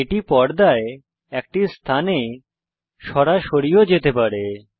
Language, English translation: Bengali, It can also jump directly to a position on the screen